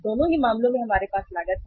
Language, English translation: Hindi, In both the cases we have the cost